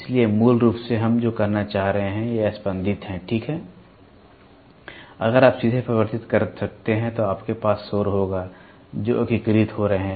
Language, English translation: Hindi, So, basically what are we trying to say is, these are pulses, ok, if you can directly amplify you will have the noise which are getting integrator